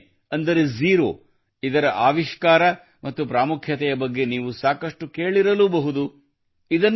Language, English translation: Kannada, You must have heard a lot about zero, that is, the discovery of zero and its importance